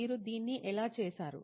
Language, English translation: Telugu, How did you do this